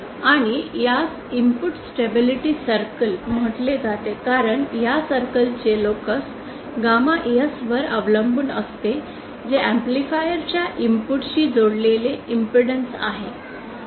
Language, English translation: Marathi, And recall this is called input stability circle because the locus of this circle dependent on gamma S, which is the input of the which is the impedance connected to the input of the amplifier